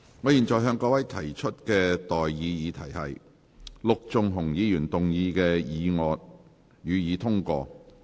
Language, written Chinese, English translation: Cantonese, 我現在向各位提出的待議議題是：陸頌雄議員動議的議案，予以通過。, I now propose the question to you and that is That the motion moved by Mr LUK Chung - hung be passed